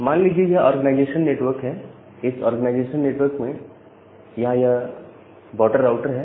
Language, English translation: Hindi, Assume that is an organization network, this organization network it has this border router from the central IP allocation authority